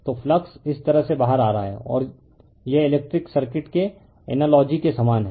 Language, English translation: Hindi, So, flux is coming out this way you take this is analogous analogy to electric circuit right